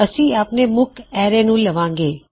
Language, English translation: Punjabi, Well call our main array